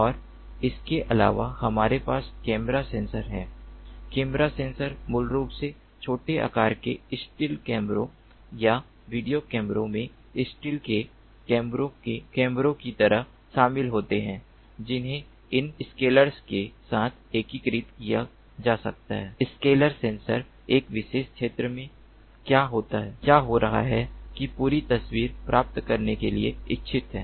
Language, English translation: Hindi, the camera sensors basically include, like steel cameras in the small sized steel cameras, or video cameras which can be integrated along with these scalars, scalar sensors, to get a complete picture of what is going on in a particular area of interest